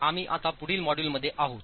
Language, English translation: Marathi, We are now into the next module